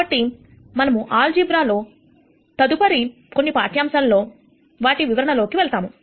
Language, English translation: Telugu, So, we are going to cover that in the next couple of lectures that we are going to have on linear algebra